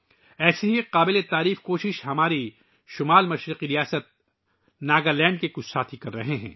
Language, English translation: Urdu, One such commendable effort is being made by some friends of our northeastern state of Nagaland